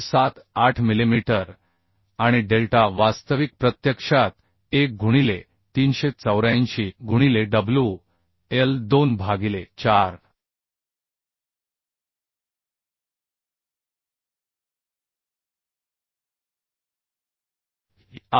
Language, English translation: Marathi, 78 millimetre and delta actual is actually 1 by 384 into Wl to the power 4 by EI okay so this is coming as W is 3294